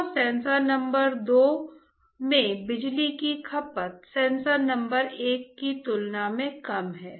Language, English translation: Hindi, So, the power consumption in sensor number two is less compared to power consumption sensor number one